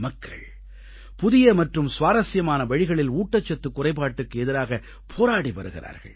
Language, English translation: Tamil, People are fighting a battle against malnutrition in innovative and interesting ways